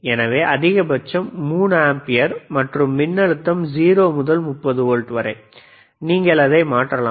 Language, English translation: Tamil, So, maximum is 3 ampere and voltage from 0 to 30 volts you can change it